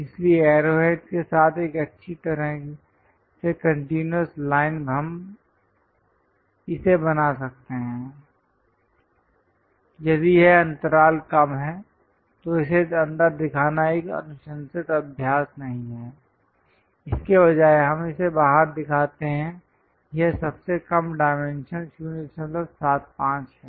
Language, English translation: Hindi, So, that a nicely a continuous line with arrow heads we can really draw it, if that gap is less, then it is not a recommended practice to show it inside instead of that, we show it from outside this is the lowest dimension 0